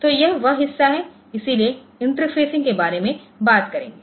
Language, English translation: Hindi, So, this is the portion so, will be talking about the interfacing